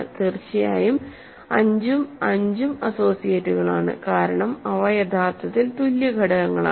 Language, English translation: Malayalam, And of course 5 and 5 are associates because they are actually equal elements